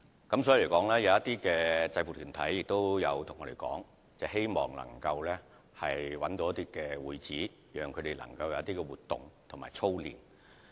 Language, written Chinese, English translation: Cantonese, 因此，有些制服團體曾經向我們反映，希望能夠找到會址，讓他們可以進行活動及操練。, This is why some uniformed groups have reflected to us their wish to have a premise for events and training